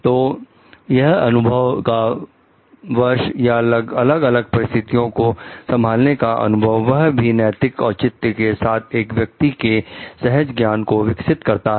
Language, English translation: Hindi, So, that years of experience or experience of handling different kinds of situations with an ethical justification develops intuition in a person